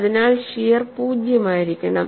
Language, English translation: Malayalam, So, shear has to be zero